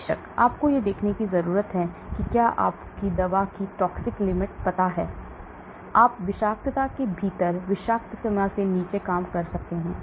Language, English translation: Hindi, Of course you need to watch out if you know the toxic limit of the drug, you work within the toxicity, below the toxic limit